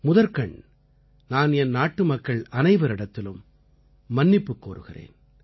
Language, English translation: Tamil, But first of all, I extend a heartfelt apology to all countrymen